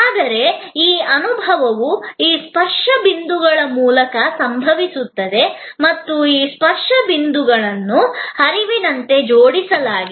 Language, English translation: Kannada, But, that experience happens through these series of touch points and this touch points are linked as a flow